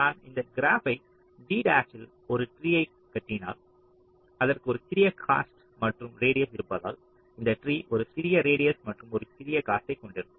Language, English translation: Tamil, so if i construct a tree in this graph, g dash, because it has a small cost and radius, this tree is also expected to have a small radius and a small cost